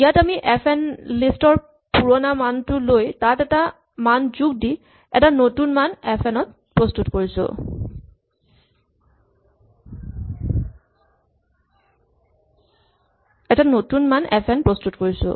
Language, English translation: Assamese, So, here we taking the old value of the function of the list fn and we are appending a value it would getting a new value of fn